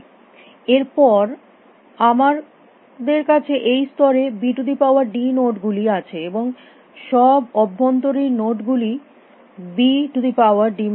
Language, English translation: Bengali, That we have b is to d nodes here in this layer, and all the internal nodes are b is to d minus 1 by b minus 1